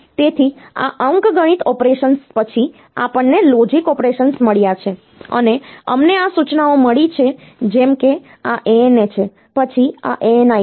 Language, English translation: Gujarati, So, after this arithmetic operations, we have got logic operations, and we have got this instructions like; and so, this ANA then ANI